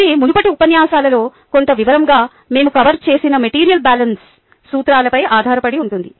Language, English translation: Telugu, it is again based on material balance principles that we covered in some detail in the previous lectures